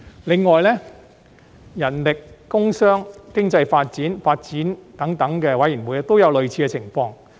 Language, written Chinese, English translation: Cantonese, 此外，人力、工商、經濟發展、發展等事務委員會也有類似的情況。, Besides the Panels on Manpower Commerce and Industry Economic Development and Development also have similar situation